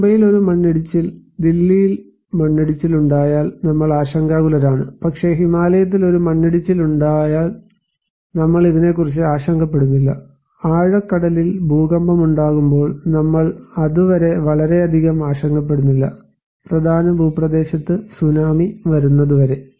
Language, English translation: Malayalam, When there is an landslide in Mumbai, landslide in Delhi we are concerned about but when there is an landslide in Himalaya, we are not concerned about this, when there is an earthquake in deep sea, we are not very much concerned unless and until the tsunami is coming on the mainland